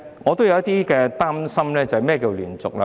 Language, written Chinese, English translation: Cantonese, 我有點擔心"連續"的規定。, I am a bit concerned about the continuous requirement